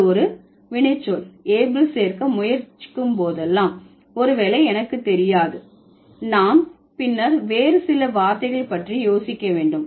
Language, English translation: Tamil, Whenever you are trying to add able to a verb, maybe I don't know, we'll think about some other words later